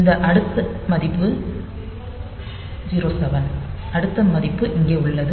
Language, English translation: Tamil, So, this next value is 0 7 this next value is here